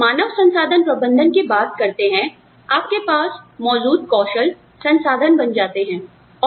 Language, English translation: Hindi, When we talk about human resources management, the skills that you have, become the resource